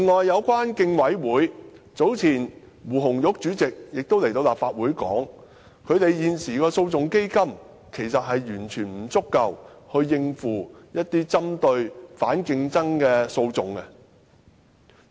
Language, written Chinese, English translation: Cantonese, 早前，競委會胡紅玉在立法會表示，現時該會的訴訟基金其實完全不足夠應付針對反競爭的訴訟。, Earlier on Anna WU Chairperson of CCHK told the Legislative Council that their litigation fund was actually unable to cope with some anti - competition litigations